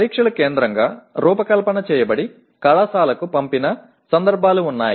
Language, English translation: Telugu, And there are instances where the tests are designed centrally and sent over to the college